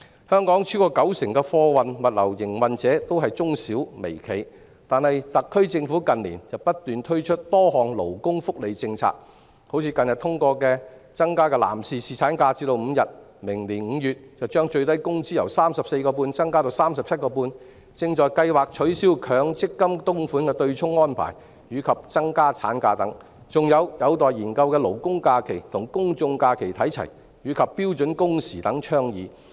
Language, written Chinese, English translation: Cantonese, 香港超過九成的貨運物流營運者均為中小微企，但特區政府近年不斷推出多項勞工福利政策，例如近日通過的增加男士侍產假至5天、明年5月把法定最低工資由 34.5 元增至 37.5 元、正在計劃取消強制性公積金供款的對沖安排，以及增加產假等，還有尚待研究的勞工假期與公眾假期看齊，以及標準工時等倡議。, Over 90 % of the freight and logistics operators in Hong Kong are micro small and medium enterprises MSMEs . However in recent years the SAR Government has repeatedly introduced a number of labour welfare policies such as increasing the paternity leave to five days which has just been passed recently; raising the statutory minimum wage rate from 34.5 to 37.5 in May next year; abolishing the offsetting arrangement of the Mandatory Provident Fund System which is currently under discussion; increasing the maternity leave aligning the number of labour holidays with that of public holidays which is pending study; and standard working hours